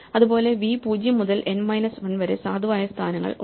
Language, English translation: Malayalam, Similarly, v has 0 to n minus 1 has valid positions